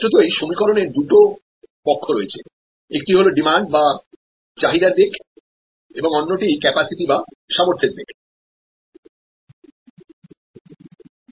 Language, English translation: Bengali, Obviously, there are two sides to the equation, one is the demand side and another is the capacity side